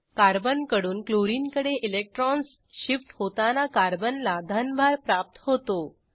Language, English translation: Marathi, When electrons shift from Carbon to Chlorine, Carbon gains a positive charge